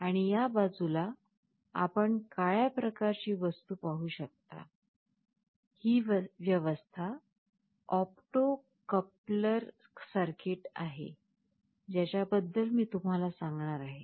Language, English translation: Marathi, And, on this side you can see a black kind of a thing; there is an arrangement that is an opto coupler circuit, which I shall be telling you about